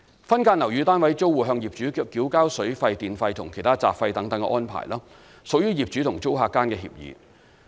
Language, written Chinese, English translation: Cantonese, 分間樓宇單位租戶向業主繳交水費、電費和其他雜費等安排，屬業主和租客間的協議。, Payment arrangement of water bill electricity bill and other miscellaneous fees by subdivided unit tenants to landlords is an agreement between them